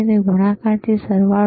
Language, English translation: Gujarati, Is it multiplication or addition